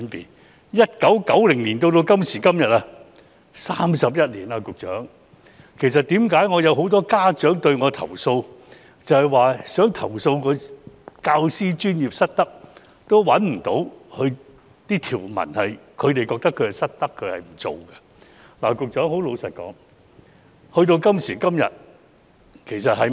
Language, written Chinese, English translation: Cantonese, 局長 ，1990 年至今，已經過了31年，為甚麼有那麼多家長向我投訴，他們想投訴教師專業失德，也未能找到相應的條文，指出教師失德和他們沒有做到的？, Secretary 31 years have passed since 1990 . Why have so many parents complained to me that when they intend to complain about the professional misconduct of teachers they are unable to find the relevant provisions to deal with the misconduct of teachers and their failure to do their job?